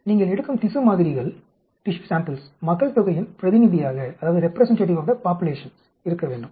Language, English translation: Tamil, The tissue samples which you are taking that should be representative of the population